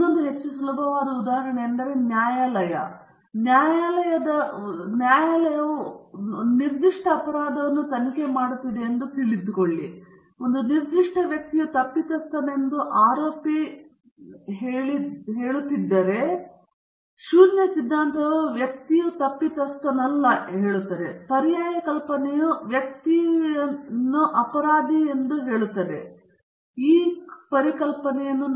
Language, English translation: Kannada, Another, more easier example is, suppose the court is investigating a particular crime and the prosecution is saying a particular person is guilty, the null hypothesis is the person is not guilty, the alternate hypothesis is the person is in fact guilty of committing a crime